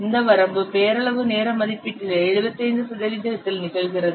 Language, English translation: Tamil, This limit occurs roughly at 75% of the nominal time estimate